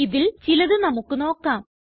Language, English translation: Malayalam, Lets look at some of the ways